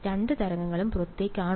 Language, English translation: Malayalam, Are both waves outward